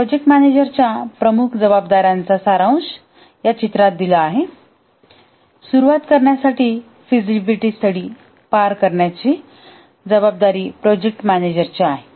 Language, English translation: Marathi, The major responsibilities of a project manager is summarized in this picture that to start with it is the project manager's responsibility to carry out the feasibility study